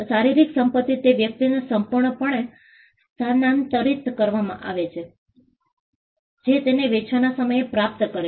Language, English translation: Gujarati, The physical property is completely transferred to the to the person who acquires it at the point of sale